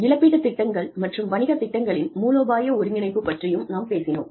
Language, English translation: Tamil, We also talked about, strategic integration of compensation plans and business plans